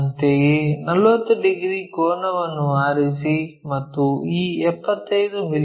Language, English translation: Kannada, Similarly, pick 40 degree angle and locate this 75 mm length